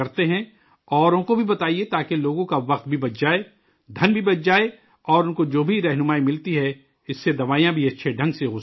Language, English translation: Urdu, Tell others too so that their time is saved… money too is saved and through whatever guidance they get, medicines can also be used in a better way